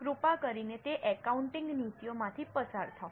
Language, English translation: Gujarati, Please go through those accounting policies